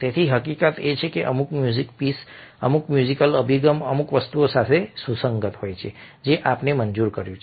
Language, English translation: Gujarati, so the very fact the certain music pieces or certain musical approaches are compatible with certain things is something which we were taken for granted